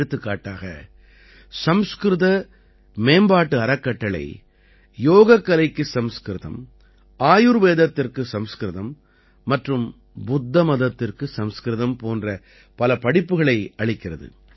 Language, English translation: Tamil, Such as Sanskrit Promotion foundation runs many courses like Sanskrit for Yog, Sanskrit for Ayurveda and Sanskrit for Buddhism